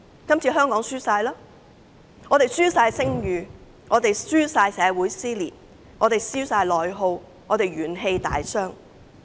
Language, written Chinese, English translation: Cantonese, 今次香港完全輸了，香港輸了聲譽，香港社會撕裂，並出現內耗，元氣大傷。, Hong Kong has completely lost this time it has lost its reputation there is social dissension and internal attrition and the vitality of the community has been depleted